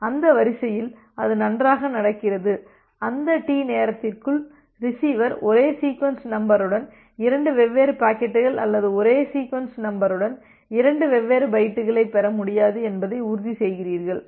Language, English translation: Tamil, Say it happens that well the sequence so, you are always ensuring that within that time duration T, the receiver cannot receive a packet cannot receives a two different packets with the same sequence number or two different bytes with the same sequence number